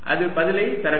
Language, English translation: Tamil, that should give me the answer